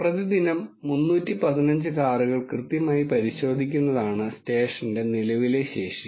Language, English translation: Malayalam, The current capacity of the station is to check the 315 cars thoroughly per day